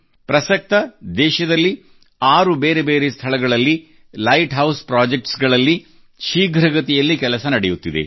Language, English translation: Kannada, For now, work on Light House Projects is on at a fast pace at 6 different locations in the country